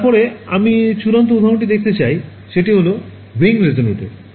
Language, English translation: Bengali, Then the final example I want to show you is modes of ring resonator ok